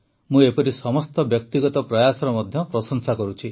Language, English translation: Odia, I also appreciate all such individual efforts